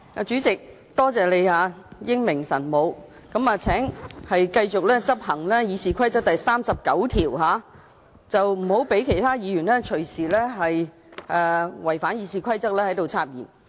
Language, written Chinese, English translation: Cantonese, 主席，多謝你英明神武，請繼續執行《議事規則》第39條，不要讓其他議員任意違反《議事規則》插言。, President thank you for making a wise and shrew judgment . Please continue to enforce RoP 39 to disallow other Members to make wilful interruptions in violation of RoP